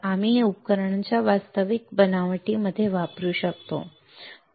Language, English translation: Marathi, So, that we can use it in the actual fabrication of the devices alright